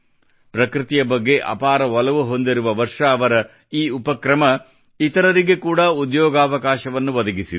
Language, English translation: Kannada, This initiative of Varshaji, who is very fond of nature, has also brought employment opportunities for other people